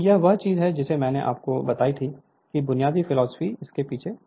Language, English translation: Hindi, So, this is the thing I told you basic philosophy is like this